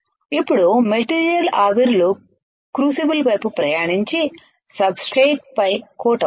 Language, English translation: Telugu, Now the material vapors travels out to crucible and coat on the substrate and coat the substrate